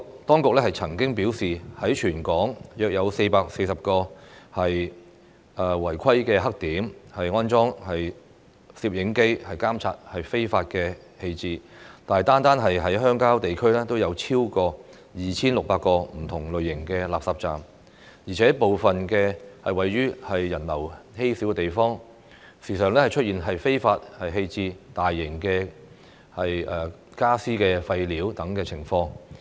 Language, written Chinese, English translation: Cantonese, 當局曾經表示，已在全港約440個"違規黑點"安裝攝影機監察非法棄置，但單是鄉郊地區已有超過 2,600 個不同類型的垃圾站，而且部分位於人流稀少的地方，時常出現非法棄置大型傢俬廢料等情況。, According to the authorities cameras have been installed at the 440 - odd blackspots in the territory to monitor illegal waste disposal . However there are more than 2 600 refuse collection points RCPs of different types in rural areas . In addition some of them are located in places with low pedestrian flow where the illegal disposal of large furniture and waste materials is quite common